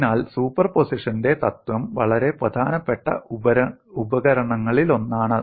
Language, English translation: Malayalam, So principle of superposition is one of the very important tools